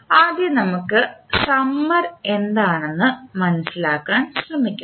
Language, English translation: Malayalam, First let us try to understand what is summer